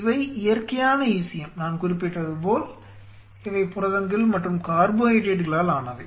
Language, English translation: Tamil, These are ECM which are natural these are natural ECM which consists of as I have mentioned of proteins and flush carbohydrates